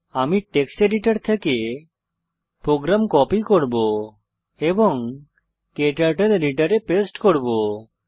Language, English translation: Bengali, Let me copy the program from text editor and paste it into KTurtle editor